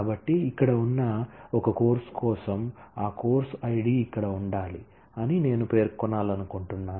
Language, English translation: Telugu, So, for a course that exists here I want to specify that that course Id must be present here